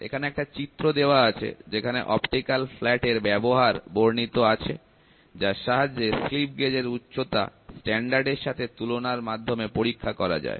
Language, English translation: Bengali, So, here you can see a figure; which illustrates the use of an optical flat to check the height of a slip gauge Against a standard